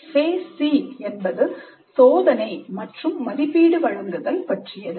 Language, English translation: Tamil, Then phase C is assessment and evaluation